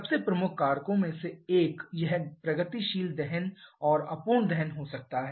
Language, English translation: Hindi, One of the most dominating factors can be this progressive combustion and incomplete combustion